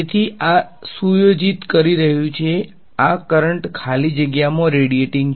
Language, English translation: Gujarati, So, this is setting these currents are setting radiating in empty space